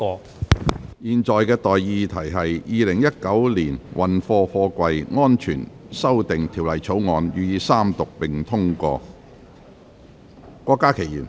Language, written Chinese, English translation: Cantonese, 我現在向各位提出的待議議題是：《2019年運貨貨櫃條例草案》予以三讀並通過。, I now propose the question to you and that is That the freight Containers Safety Amendment Bill 2019 be read the Third time and do pass